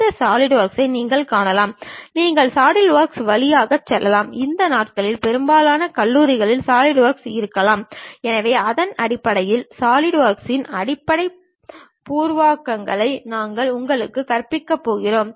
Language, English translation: Tamil, You can find these solidworks, you can go through solidworks, most of the colleges these days might be having solid work, so, based on that we are going to teach you basic preliminaries on solidworks